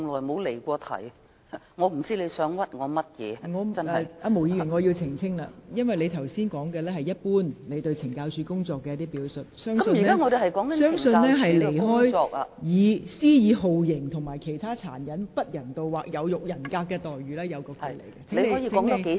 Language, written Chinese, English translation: Cantonese, 毛議員，我要在此澄清，我認為你剛才的發言是對懲教署工作的一般表述，與在囚人士懷疑被施以酷刑和其他殘忍、不人道或有辱人格待遇的議題有所偏離。, Ms MO I have to clarify that I think you were speaking about the works of the CSD in general . I believe that was digression from the motion in relation to suspected torture and other cruel inhuman or degrading treatment or punishment inflicted by any officer of the Correctional Services Department on the prisoners